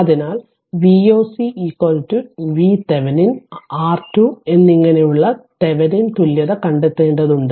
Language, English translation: Malayalam, So, you have to find out Thevenin equivalent that is V oc is equal to V Thevenin and R thevenin